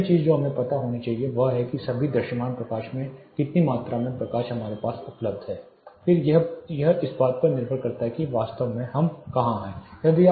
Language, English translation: Hindi, The first thing we should know is, what is available to us how much amount of light at all visible light is available to us this depends on where exactly you are